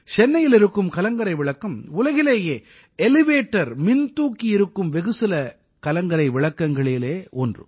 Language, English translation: Tamil, For example, Chennai light house is one of those select light houses of the world which have elevators